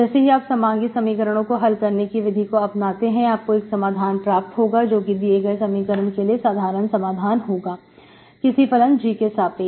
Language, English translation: Hindi, Once you apply the method to solve this homogeneous equation, this is how you will get a solution, general solution of this equation for some G